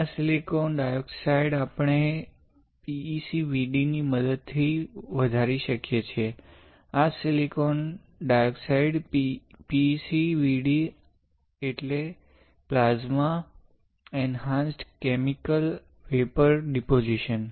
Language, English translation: Gujarati, This silicon dioxide we can grow with the help of PECVD right, this silicon dioxide PECVD; PECVD stands for Plasma Enhanced Chemical Vapour Deposition